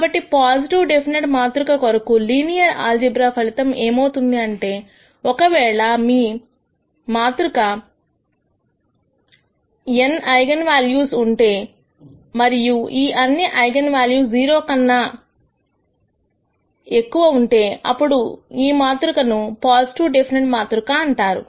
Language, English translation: Telugu, Now, the linear algebraic result for positive definite matrix is that if this matrix has let us say n eigenvalues, and if all of these eigenvalues are greater than 0 then this matrix is called positive definite